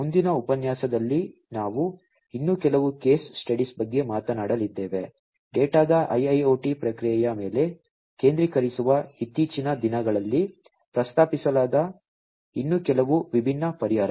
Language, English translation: Kannada, In the next lecture, we are going to talk about a few more case studies, a few more different solutions that have been proposed in recent times focusing on IIoT processing of data